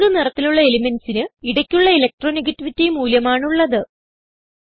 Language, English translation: Malayalam, Elements with pink color have in between Electronegativity values